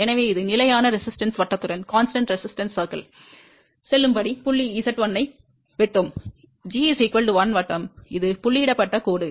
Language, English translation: Tamil, So, this is the step move along constant resistance circle to reach point Z 1 intersecting g equal to 1 circle which is a dotted line